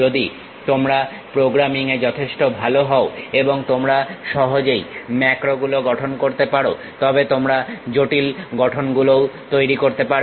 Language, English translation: Bengali, If you are reasonably good with programming and you can easily construct macros then you can build even complicated structures